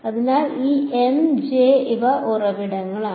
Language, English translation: Malayalam, So, these M and J these are sources ok